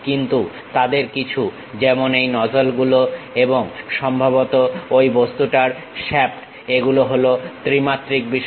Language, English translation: Bengali, But, some of them like nozzles and perhaps the shaft of that object these are three dimensional things